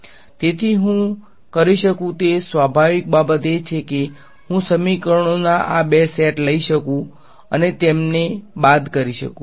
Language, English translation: Gujarati, So, the natural thing that I could do is I can take these two sets of equations and subtract them